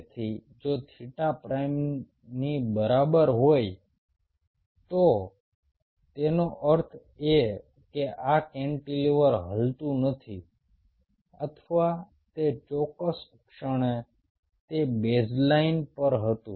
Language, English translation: Gujarati, so if theta is equal to theta prime, it means this cantilever is not moving or at that particular instant it was at the baseline